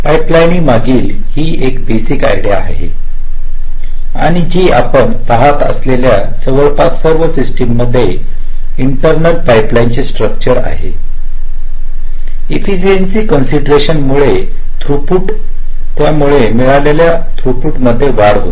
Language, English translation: Marathi, this is a basic idea behind pipelining and almost all systems that we see today as an internal pipeline structure, because of an efficiency considerations, because of throughput increase, increase in throughput that you get by doing that